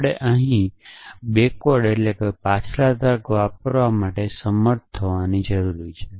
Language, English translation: Gujarati, We need to be able to use backward reasoning here